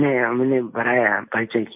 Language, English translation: Hindi, No, we extended our introduction